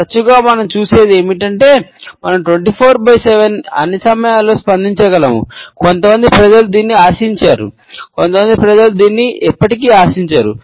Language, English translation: Telugu, Often times what we see is, that we can respond 24 7 all the time, some people expect that some people would never expect that